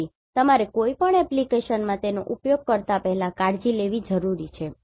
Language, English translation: Gujarati, So, you need to take care before using it in any application